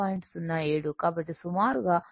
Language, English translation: Telugu, 07 I have approximated as 7